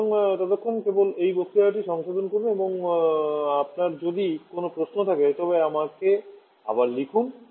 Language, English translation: Bengali, So till then just revise this lecture and if you have any query right back to me, Thank you